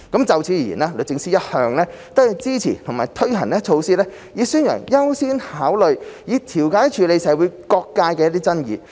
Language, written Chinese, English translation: Cantonese, 就此而言，律政司一向支持並推行措施以宣揚優先考慮以調解處理社會各界的爭議。, In this regard the Department of Justice supports and has launched initiatives to promote the idea of first considering mediation in resolving disputes in different sectors